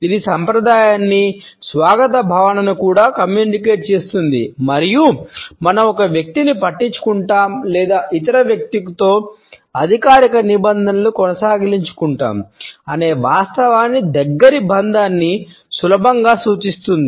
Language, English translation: Telugu, It also communicates tradition, a sense of welcome and can easily represent close bonding the fact that we care for a person or we simply want to maintain formal terms with the other person